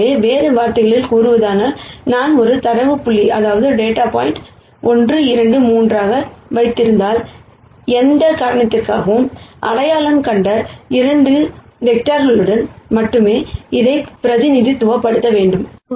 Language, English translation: Tamil, So, in other words, if I had a data point 1 2 3, and then I say I want to represent this with only 2 vectors that I had identified before whatever reason it might be, then the best representation is the following is what this projection says